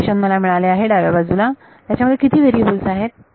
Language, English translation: Marathi, So, left hand side I have got one equation in how many variables